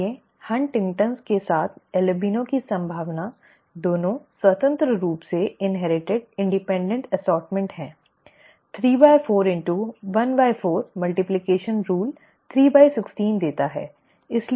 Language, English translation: Hindi, Therefore, the probability of an albino with HuntingtonÕs, okay, both are independently inherited independent assortment, three fourth into one fourth multiplication rule, 3 by 16, okay, so this is the probability